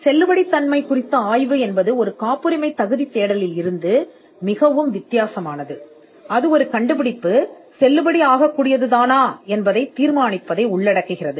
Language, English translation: Tamil, A validity study is much different from a patentability search, and it involves determining whether an invention is valid or not